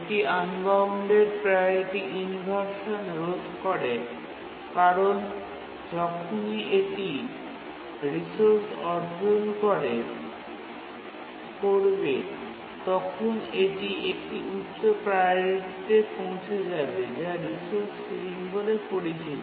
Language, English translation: Bengali, And also it prevents unbounded priority inversion because the task's priority as soon as it acquires the resource increased to high value which is the ceiling of the resource